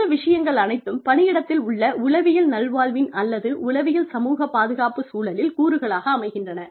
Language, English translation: Tamil, So, all of these things, constitute as elements, of the psychological well being in the, or, psychosocial safety climate, in the workplace